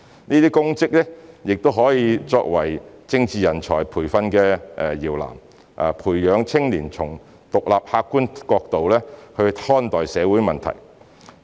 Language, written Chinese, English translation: Cantonese, 這些公職亦可作為政治人才培訓的搖籃，培養青年從獨立客觀角度看待社會問題。, Public service can serve as a cradle for training political talents by nurturing them to look at social problems from an independent and objective perspective